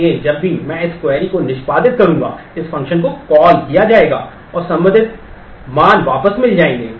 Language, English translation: Hindi, So, whenever I whenever this query will get executed, this function will be called, and the corresponding values will get returned